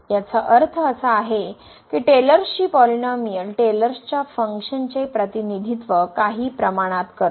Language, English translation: Marathi, That means, because this Taylor’s polynomial representing the Taylor functions to some approximation